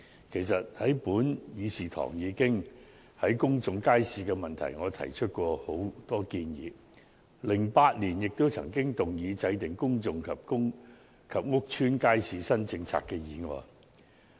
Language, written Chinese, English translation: Cantonese, 其實，我在本議事堂已就公眾街市的問題，提出過很多建議 ，2008 年也曾動議"制訂公眾及公屋街市新政策"的議案。, Actually in this Chamber I had put forward many proposals on matters relating to public markets . In particular I moved a motion on Formulating new policies on public and public housing estate markets in 2008